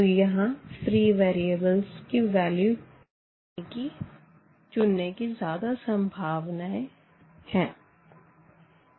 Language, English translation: Hindi, So, we have more possibilities to actually choose the choose the variables now here